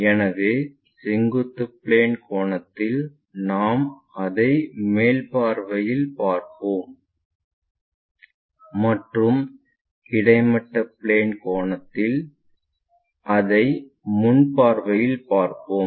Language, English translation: Tamil, So, with vertical plane angle what we will see it in the top view and the horizontal plane angle we will see it in the front view